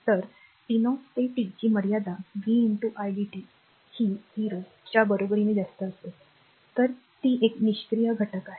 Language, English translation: Marathi, So, t 0 to t limit it is vi dt it will be greater that equal to 0, then you can say it is a passive elements